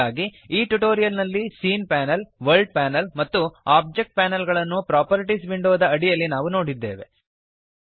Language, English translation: Kannada, So, in this tutorial we have covered scene panel, world panel and Object panel under the Properties window